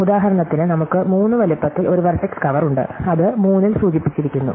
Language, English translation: Malayalam, So, here for example, we have a vertex cover of size 4, which is indicated in green